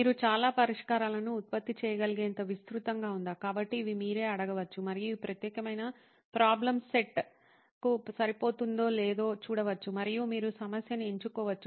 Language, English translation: Telugu, Is it broad enough that you can generate a lot of solutions, so these are some things that you can ask yourself and see if it fits this particular problem set and you can pick a problem